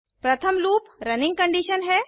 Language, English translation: Hindi, First is the loop running condition